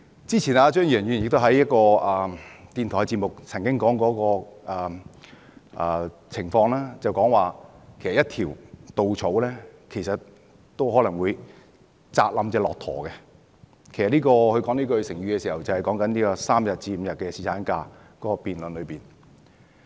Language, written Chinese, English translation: Cantonese, 之前，張宇人議員在一個電台節目上曾經說過一個情況，就是一條稻草都可能會壓垮一隻駱駝，其實他說這個成語時，是指這個3天與5天的侍產假辯論。, Previously in a radio programme Mr Tommy CHEUNG compared a situation to a straw that can break a camels back . In fact he was referring to the debate over the provision of three days or five days paternity leave when he passed a remark with this proverb